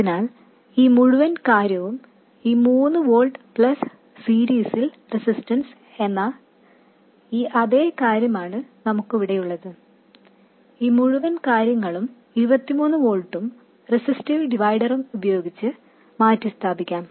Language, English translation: Malayalam, So, this entire thing, this 3 volt plus the series resistance, that's the same thing we have here and the whole thing can be replaced by this 23 volts and a resistive divider